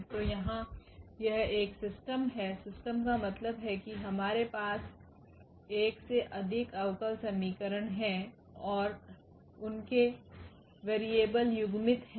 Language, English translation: Hindi, So, here it is a system, system means we have a more than one differential equations and their variables are coupled